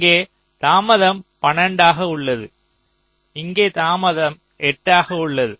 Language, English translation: Tamil, here there is a delay of twelve, here there is delay of eight